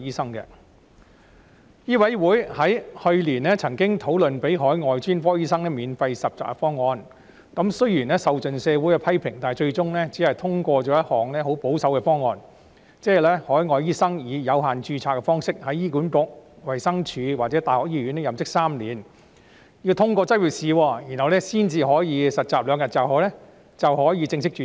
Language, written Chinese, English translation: Cantonese, 香港醫務委員會去年曾經討論豁免海外專科醫生實習安排的方案，雖然受盡社會批評，但最終只是通過一項十分保守的方案，即是海外醫生以有限度註冊的方式在醫管局、衞生署或大學醫學院任職3年，通過執業資格試後便可以正式註冊。, Last year the Medical Council of Hong Kong MCHK discussed the proposal to exempt the internship arrangement of overseas specialists . Despite a barrage of criticisms in society only a very conservative proposal was passed eventually that is overseas doctors may obtain full registration as long as they have worked in HA the Department of Health or medical schools of universities under limited registration for three years and have passed the Licensing Examination